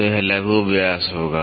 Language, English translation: Hindi, So, this will be the minor diameter